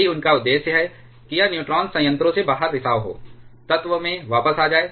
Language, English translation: Hindi, That is their objective is to the get this neutrons is a leaking out of reactor, back into the core